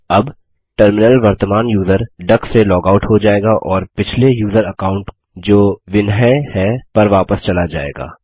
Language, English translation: Hindi, Now the terminal logs out from the current user duck and comes back to the previous user account, which is vinhai in our case